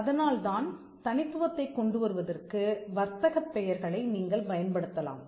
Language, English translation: Tamil, So, you could have trade names which will bring this uniqueness